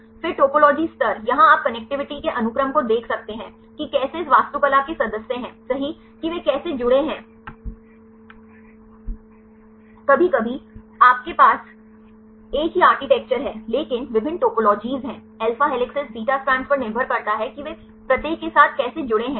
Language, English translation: Hindi, Then the topology level here you can see the sequence of connectivity, how the members of this architecture right how they are connected sometimes you have the same architecture, but have the different topologies right depending upon the alpha helices beta strands how they are connected with each other